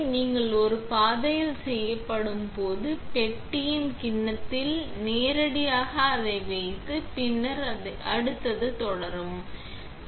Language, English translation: Tamil, When you are done with one path just put it directly up into the bowl on the box and then continue with the next